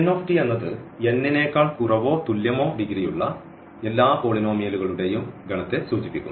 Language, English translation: Malayalam, So, P n t denotes the set of all polynomials of degree less than or equal to n